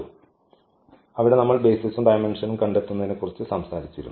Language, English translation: Malayalam, So, here we are talking about or finding the basis and its dimension